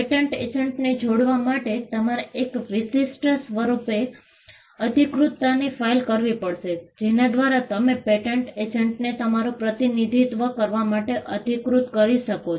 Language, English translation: Gujarati, To engage a patent agent, you will have to file an authorization; there is a particular form by which you can authorize a patent agent, to represent you